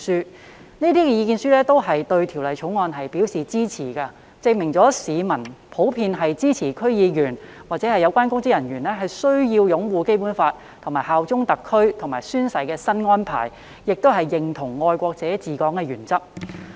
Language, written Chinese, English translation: Cantonese, 接獲的所有意見書均對《條例草案》表示支持，證明市民普遍支持區議員或有關公職人員需要擁護《基本法》，以及效忠特區和宣誓的新安排，亦認同"愛國者治港"的原則。, All the submissions received have expressed support for the Bill suggesting that members of the public generally support the new arrangements for requiring DC members or relevant public officers to uphold the Basic Law bear allegiance to HKSAR and take an oath and endorse the principle of patriots administering Hong Kong